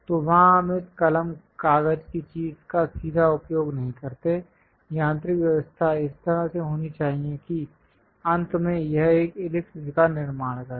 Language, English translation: Hindi, So, there we do not straightaway use this pen, paper kind of thing; the mechanical arrangement has to be in such a way that, finally it construct an ellipse